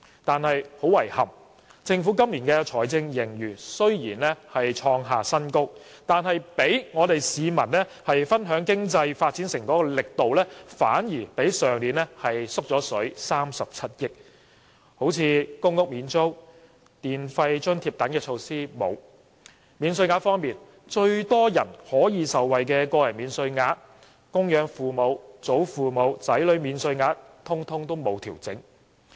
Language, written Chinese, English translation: Cantonese, "但是，很遺憾，雖然政府今年的財政盈餘創下新高，但讓市民分享經濟發展成果的力度反而比去年減少37億元，例如公屋免租及電費津貼等措施全部欠奉；在免稅額方面，最多人可以受惠的個人免稅額、供養父母、祖父母和子女等免稅額亦全部沒有調整。, Unfortunately although the Governments fiscal surplus this year hit a new high the fruit of economic development shared with the public is 3.7 billion less than last year . For example rent waiver to public rental housing tenants and electricity charges subsidies are not provided . Allowances benefiting most people including personal allowance allowances for dependent parents grandparents and children have not been adjusted